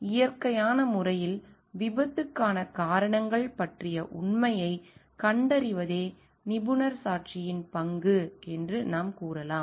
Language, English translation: Tamil, So, in a natural we can tell the role of expert witness is to identify the truth about the may be causes of accidents